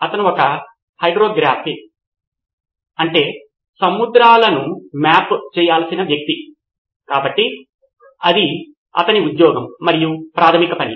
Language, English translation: Telugu, He was a hydrographe the guy who is to map the seas, so his job was primary job was that